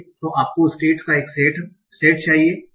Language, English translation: Hindi, So you need a set of states